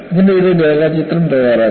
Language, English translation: Malayalam, Try to make a neat sketch of this